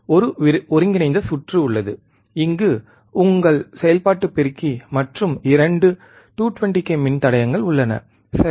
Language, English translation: Tamil, There is an integrated circuit, which is your operational amplifier and there are 2 resistors of 220 k, right